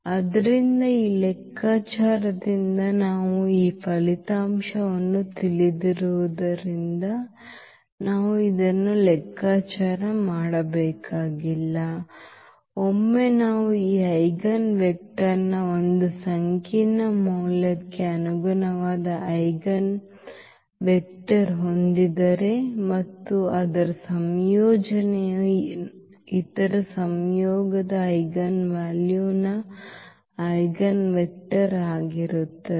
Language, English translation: Kannada, So, indeed we do not have to compute this since we know this result from this calculation that once we have eigenvector corresponding to one complex value of this lambda and its conjugate will be will be the eigenvector of the other conjugate eigenvalue